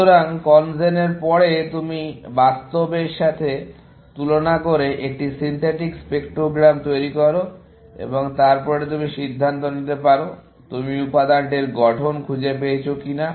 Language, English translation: Bengali, So, after CONGEN, you produce a synthetic spectrogram, compared with real and then, you can decide, whether you have found the structure of the material or not